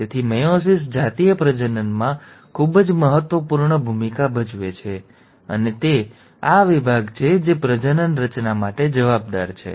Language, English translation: Gujarati, So meiosis plays a very important role in sexual reproduction and it is this division which is responsible for gamete formation